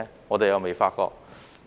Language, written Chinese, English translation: Cantonese, 我們又未發覺。, We cannot see that